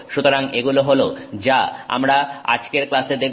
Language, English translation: Bengali, So, this is what we will look at in today's class